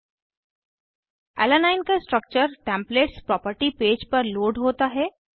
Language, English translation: Hindi, Structure of Alanine is loaded onto the Templates property page